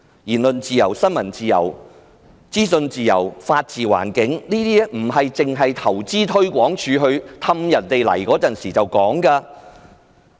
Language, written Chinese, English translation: Cantonese, 言論自由、新聞自由、資訊自由和法治環境，都不是投資推廣署哄人來港時才說的。, Freedom of speech freedom of the press freedom of information and the rule of law are the advantages highlighted by Invest Hong Kong when trying to entice foreigners to come to Hong Kong